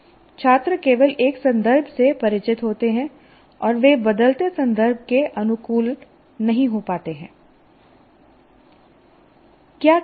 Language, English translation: Hindi, So constantly you are only familiar with one context and then you are not able to adopt to changing context